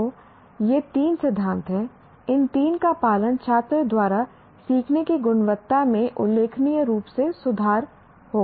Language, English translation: Hindi, If these three are followed, the quality of the learning by the student will significantly improve